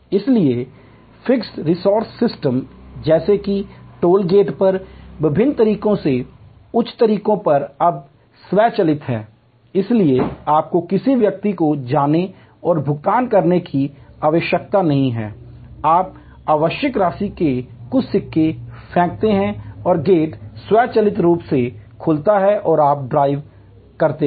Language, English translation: Hindi, So, fixed response system like say toll gate at various, on high ways are now automated, so you do not have to go and pay to a person, you throw some coins of the requisite amount and the gate automatically opens and you drive through